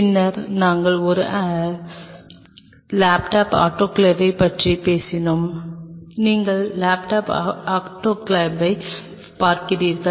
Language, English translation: Tamil, Then we talked about a tabletop autoclave here you see the tabletop autoclave